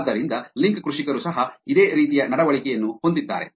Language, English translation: Kannada, So, therefore, link farmers also have this similar behavior